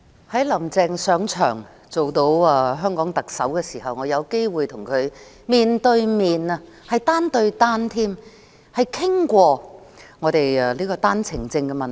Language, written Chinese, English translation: Cantonese, 在"林鄭"上台做香港特首後，我有機會跟她面對面、單對單討論單程證問題。, After Carrie LAM took office as Chief Executive of Hong Kong I had the opportunity to meet with her alone face to face to discuss the issue of One - way Permits OWPs